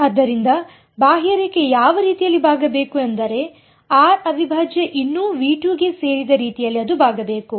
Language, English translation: Kannada, So, which way should the contour bend it should bend in such a way that r prime still belongs to V 2